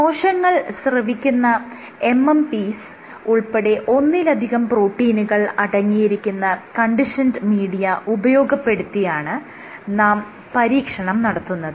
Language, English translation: Malayalam, So, you collect this conditioned media will have multiple proteins including MMPs which are secreted MMPs which are secreted by the cells